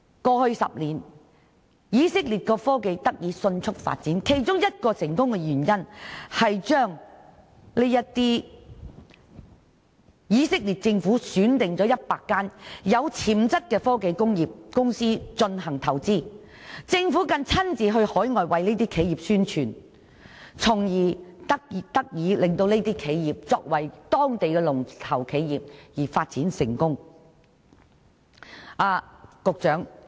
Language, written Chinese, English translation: Cantonese, 過去10年，以色列的科技得以迅速發展的成功原因之一，是以色列政府選定了100間有潛質的科技工業公司進行投資，更親自到海外為這些企業宣傳，令到這些企業成為當地的龍頭企業而發展成功。, One of the factors attributing to the rapid development of technology in Israel over the last decade is that the Israeli Government has chosen 100 technology enterprises with potential for investment . Furthermore the Israeli Government has even gone abroad to promote for these enterprises so as to make them become local leading ventures and thus succeed in development